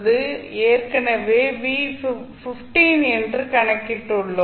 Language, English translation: Tamil, V0 we have calculated already that is 15